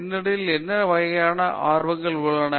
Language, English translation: Tamil, What sort of backgrounds are they interested in